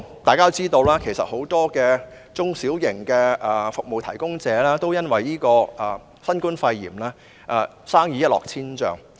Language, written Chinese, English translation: Cantonese, 大家都知道，很多中小型服務提供者都因新冠肺炎而生意一落千丈。, As we all know many small and medium - sized service providers have suffered a plunge in business as a result of the novel coronavirus pneumonia